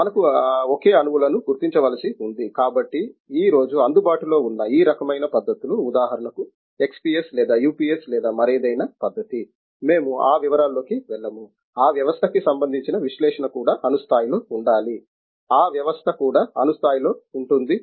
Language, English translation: Telugu, We have single atoms have to be identified, so these types of techniques that are available today for example, XPS or UPS or any other technique, we will not go into all the details that is any the analysis must be the probing system also atomic level, the probed system also at atomic level